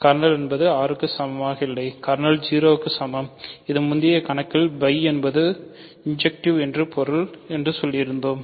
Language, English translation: Tamil, So, kernel is equal to 0, which by an earlier problem means phi is injective ok